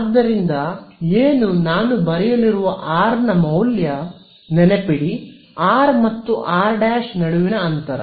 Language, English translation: Kannada, So, what is my value of R that I am going to write; so, R remember is the distance between r and r prime